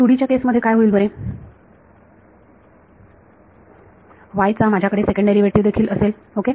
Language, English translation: Marathi, In the case of 2D what will happen, I will have a second derivative of y also ok